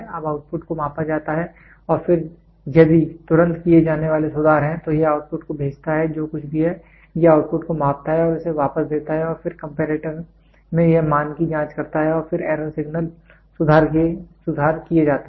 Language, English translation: Hindi, Now, the output is measured and then if there are corrections to be made immediately it goes sends the output whatever is it, it measures the output and gives it back and then in the comparator it checks the value then error signal, corrections made